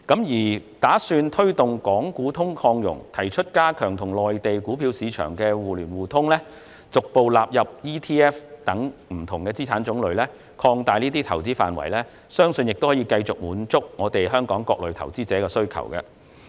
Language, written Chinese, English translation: Cantonese, 預算案打算推動"港股通"擴容，包括提出加強與內地股票市場互聯互通，逐步納入 ETF 等不同資產種類，以及擴大這些投資的範圍，我相信這些措施亦可繼續滿足香港各類投資者的需求。, With an aim of facilitating the expansion of Stock Connects capacity the Budget proposes to among other things reinforce mutual stock market access between Hong Kong and the Mainland progressively include exchange traded fund ETF and other types of assets and expand the scope of such investment options . I trust that these measures can continue to meet the demands of various kinds of investors in Hong Kong